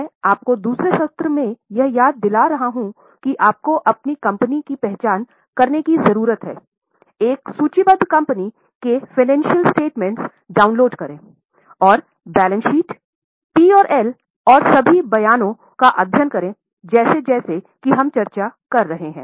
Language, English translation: Hindi, I am once again reminding you that right from second session I have been telling you that you need to identify your company, download the financial statements of a listed company and study the balance sheet, P&L and all the statements as we are discussing in the class